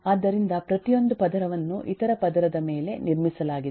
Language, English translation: Kannada, so each layer is built on top of other layer